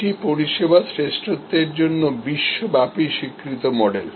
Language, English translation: Bengali, It is a globally recognized model for service excellence